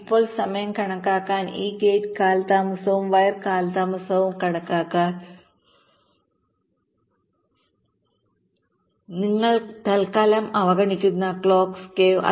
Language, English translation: Malayalam, ok, now to estimate the timing, to estimate this gate delays and wire delays clock skew you are ignoring for time being